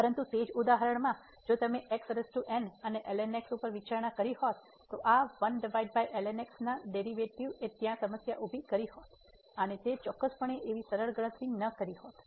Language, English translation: Gujarati, But, in the same example if you would have consider power and over then the derivative of this over would have created a problem there and it was certainly it would have not been such a simple calculation